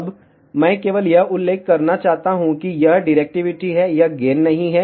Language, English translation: Hindi, Now, I just want to mention that this is directivity, this is not gain